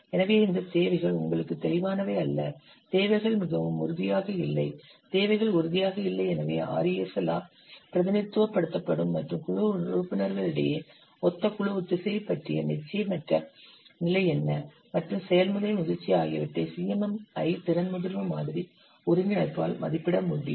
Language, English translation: Tamil, So what is the degree of uncertainty about their requirements that is printed by RESL and similar team cohesion, cohesion among the team members and process maturity, this could be assessed by the CMMI, capability maturity model integration